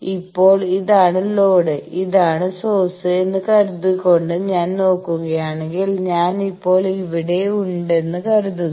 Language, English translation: Malayalam, Suppose; if I look at these that this is the load this is load and this is source, then you see that suppose now I am here